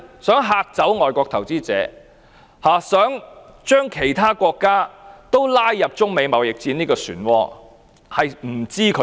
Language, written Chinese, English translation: Cantonese, 希望嚇怕外國投資者、希望將其他國家拉入中美貿易戰的漩渦中？, What does she want? . Does she want to scare away foreign investors and drag other countries into the vortex of the United States - China trade war?